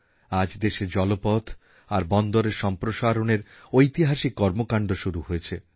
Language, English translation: Bengali, Today there are landmark efforts, being embarked upon for waterways and ports in our country